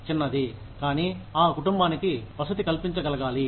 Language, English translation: Telugu, Small, but that should be able to accommodate a family